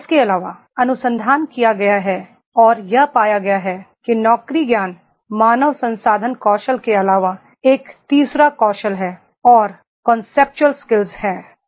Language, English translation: Hindi, Further, research has been done and it has been found that is in addition to the job knowledge, HR skills, there is a third skill and that is the Conceptual skills